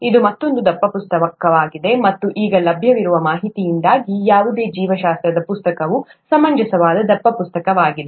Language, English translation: Kannada, This is another thick book, and any biology book would be a reasonably thick book because of the information that is available now